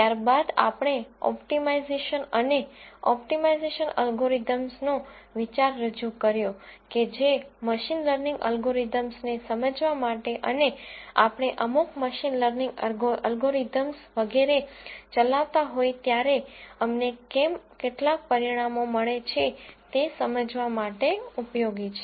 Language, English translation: Gujarati, We then introduced the idea of optimization and optimization algorithms that are useful for us to understand machine learning algorithms and make sense out of why we get some results when we run certain machine learning algorithms and so on